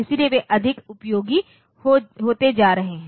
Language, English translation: Hindi, So, they are becoming more useful